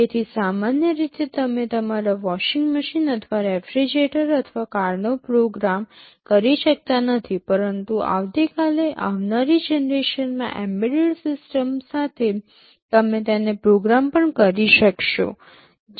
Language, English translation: Gujarati, So, normally you cannot program your washing machine or refrigerator or a car, but maybe tomorrow with the next generation embedded systems coming, you may be able to program them also